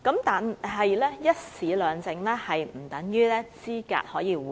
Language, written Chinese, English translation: Cantonese, 但是，"一試兩證"不等於可以資格互認。, Yet this One Trade Test Two Certificates System is no substitute for the mutual recognition arrangement